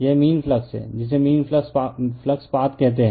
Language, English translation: Hindi, This is the mean flux your what you call mean your flux path